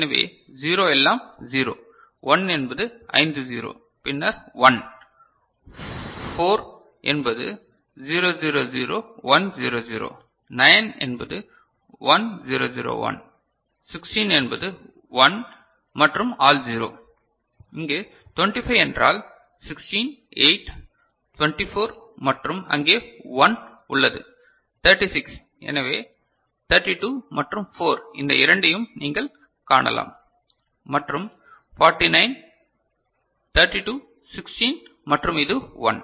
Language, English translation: Tamil, So, 0 is all 0, 1 is five 0 and then 1, 4 is 0 0 0 1 0 0 right, 9 is this is 1 0 0 1, 16 is 1 all 0 over here 25 means 16, 8, 24 and there is 1; 36 so, 32 and 4 these two you can see; and 49, 32, 16 and this is 1 ok